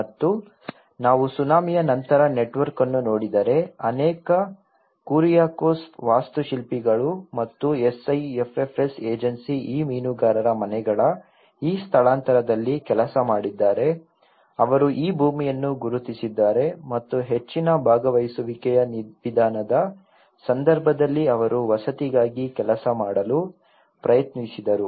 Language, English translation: Kannada, And if we look at the network after the tsunami, many Kuriakose architect and as well as the SIFFS Agency has worked on this relocation of this fishermen houses they identified this land and they tried to work out the housing when a more of a participatory approach